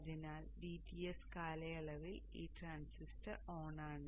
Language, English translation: Malayalam, So during the DTS period this transistor is on